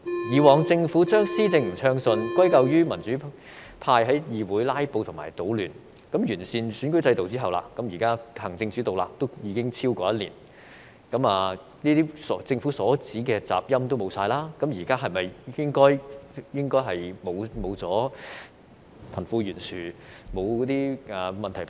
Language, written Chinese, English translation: Cantonese, 以往政府將施政不暢順，歸咎於民主派在議會"拉布"和搗亂，那麼完善選舉制度後，現在行政主導已超過一年，政府所指的"雜音"已經消失，現在是否應已沒有貧富懸殊，沒有這些問題發生？, In the past the Government accused the democratic camp of filibustering and causing disruptions in this Council and blamed them for its less than smooth implementation of policies . Now that the electoral system is improved and an executive - led system has been in operation for more than a year and the discord as considered by the Government has disappeared there should be no such problems as disparity between the rich and the poor . Am I right?